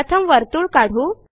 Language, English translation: Marathi, First let us draw a circle